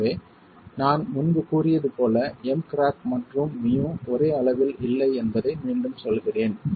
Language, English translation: Tamil, So, as I said earlier I repeat that MC crack and MU are not at the same level